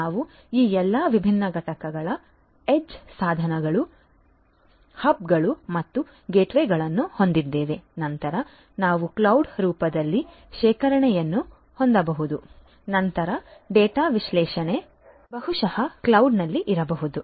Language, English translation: Kannada, So, we will have all these different components you know age devices, you know then hubs and gateways, then we have storage maybe in the form of cloud etcetera, then analysis of the data analytics maybe at the cloud